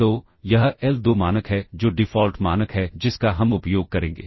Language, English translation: Hindi, So, this is the l2 norm which is the default norm that we will use